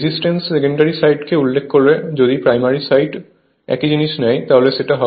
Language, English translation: Bengali, Resistance refer to the secondary side if you take on the primary side same thing in that case it will be R 1 plus your K square into R 2 right